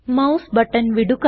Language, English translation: Malayalam, Release the mouse button